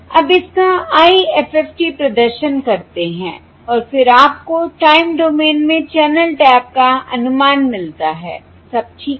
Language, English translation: Hindi, You perform IFFT of this and then you get the estimates of the channel tap in the time domain